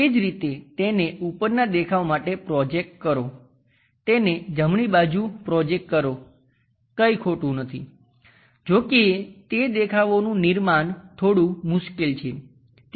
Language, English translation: Gujarati, Similarly, project it on to top view, project it on to right side, there is nothing wrong; however, constructing those views becomes bit difficult